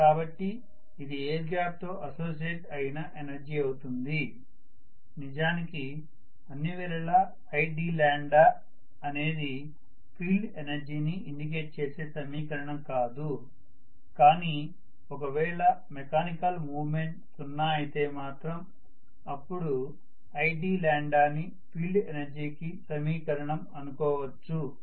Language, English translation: Telugu, So this is essentially the field energy associated with the air gap, i d lambda is not really the expression for field energy all the time unless I am looking at the mechanical movement being zero, if it is zero yes, i d lambda can be the expression for the field energy